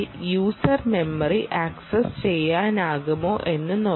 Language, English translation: Malayalam, now let us see whether user memory is accessible